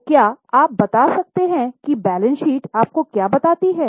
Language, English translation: Hindi, So, can you tell what does the balance sheet tell you